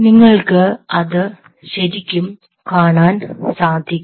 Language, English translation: Malayalam, you really can physically see it